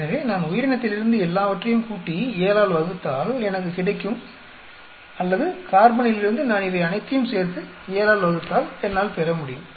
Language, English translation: Tamil, So, it could from the organism if I add up all and then divide by 7, I should get or from carbon,if I add up all these and divide by 7, I should be able to get that